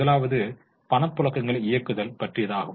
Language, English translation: Tamil, The first one is operating cash flows